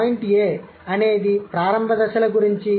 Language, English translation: Telugu, Point A is about initial stages